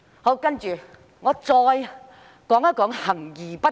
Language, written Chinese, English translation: Cantonese, 我再談談行而不果。, I will then talk about implementation without effect